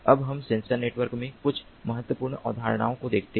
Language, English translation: Hindi, now let us look at few important concepts in sensor network